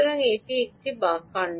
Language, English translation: Bengali, this is another one